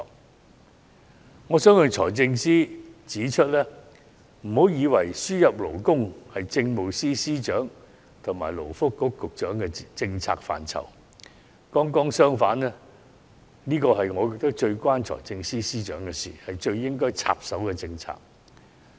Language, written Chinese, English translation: Cantonese, 因此，我想向財政司司長指出，請不要以為輸入勞工是政務司司長和勞工及福利局局長的政策範疇；剛剛相反，我認為這是與財政司司長最為相關，是他最應該插手的政策。, Therefore I would like to point this out to the Financial Secretary Please do not assume that labour importation is under the policy purview of the Chief Secretary for Administration and the Secretary for Labour and Welfare only . In my opinion it is just the other way round . This policy area is most relevant to the Financial Secretary and one that he should intervene with priority